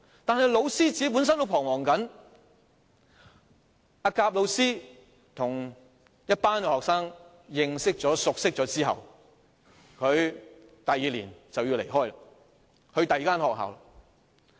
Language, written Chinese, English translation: Cantonese, 但是，教師本身也在彷徨，甲教師與一群學生認識及熟落後，第二年便要離開，到另一所學校任職。, However the teachers themselves also feel worried . After getting acquainted with a group of students and knowing them better a teacher has to leave for another school next year